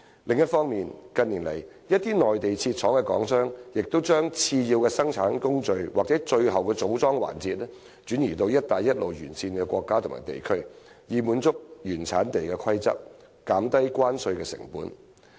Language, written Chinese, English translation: Cantonese, 另一方面，近年來，一些在內地設廠的港商已將次要生產工序或最後組裝環節，轉移至"一帶一路"沿線國家和地區，以滿足原產地規則，減低關稅成本。, On the other hand in recent years some Hong Kong businesses with factories on the Mainland have moved their subsidiary production processes or final assembly lines to countries and regions along the Belt and Road so as to satisfy the relevant rules of origin and reduce tariff costs